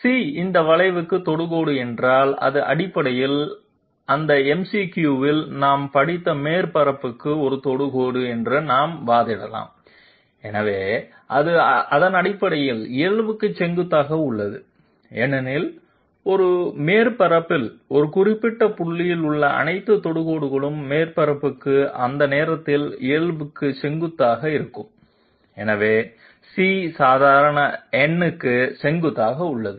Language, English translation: Tamil, We can argue that if C is tangent to this curve it is essentially a tangent to the surface which we studied in that MCQ therefore, it is essentially perpendicular to the normal because all tangents at a particular point on a surface will be perpendicular to the normal at that point to the surface, so C is perpendicular to the normal n